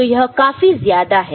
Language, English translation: Hindi, So, this is much more right